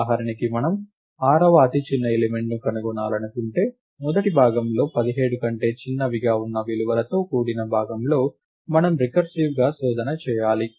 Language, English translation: Telugu, If for example, we wanted to find the 6th smallest element, then we would have to recurse our search in the first part which is the values which are smaller than 17